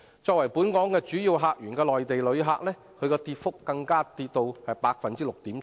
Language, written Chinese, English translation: Cantonese, 作為本港主要客源的內地旅客，跌幅更高達 6.7%。, The number of Mainland visitors being our major visitor source has even dropped by as much as 6.7 %